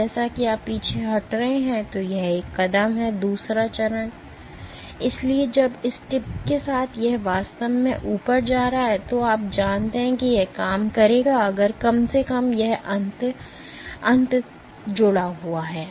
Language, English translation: Hindi, Step two; so when the, with the tip is going up it is actually, so you know this will work if at least this end, this end remains attached